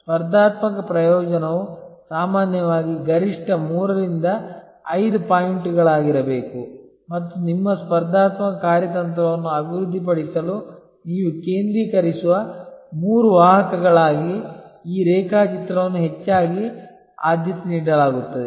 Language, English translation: Kannada, Competitive advantage should normally be maximum three to five points and this diagram is often preferred as the three vectors that you will focus on for developing your competitive strategy